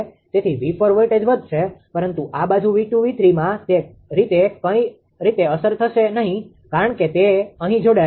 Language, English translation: Gujarati, So, V 4 voltage will increase, but in this side that V 2 V 3 it will not be affected that way right because it is it is a connected here